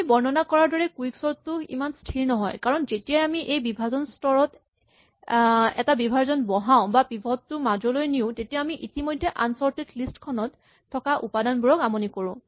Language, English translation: Assamese, Unfortunately, quicksort the way we have described it is not stable because whenever we extend a partition in this partition stage or move the pivot to the center what we end up doing is disturbing the order of elements which were already there in the unsorted list